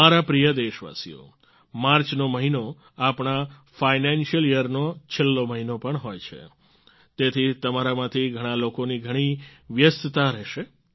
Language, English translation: Gujarati, My dear countrymen, the month of March is also the last month of our financial year, therefore, it will be a very busy period for many of you